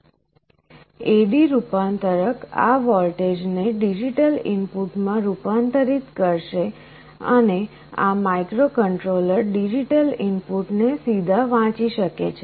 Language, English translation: Gujarati, And an A/D converter will convert this voltage into a digital input and this microcontroller can read the digital input directly